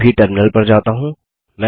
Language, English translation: Hindi, Let me switch to the terminal now